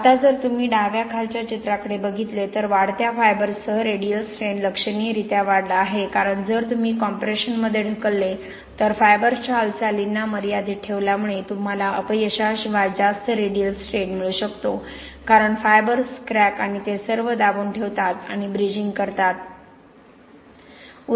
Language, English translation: Marathi, The radial strain if you look at the left bottom picture, the radial strain has significantly increased with increasing fibres, very easy to explain because if you push in compression, because of fibres confining the movement you can have much more radial strain without failure because fibers are holding and bridging the cracks and all of that